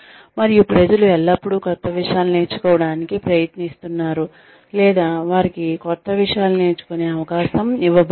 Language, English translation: Telugu, And, people are always trying to learn new things, or, they are given the opportunity to learn new things